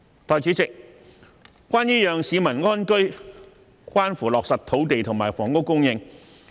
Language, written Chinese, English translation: Cantonese, 代理主席，要讓市民安居，關乎落實土地及房屋供應。, Deputy President whether people can live in peace depends on the realization of land and housing supply